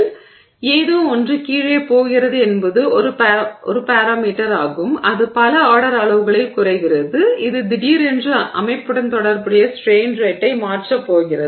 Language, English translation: Tamil, So, something that is going down in is a parameter that is in the denominator that is going down by you know several orders of magnitude is suddenly going to change the strain rate associated with the system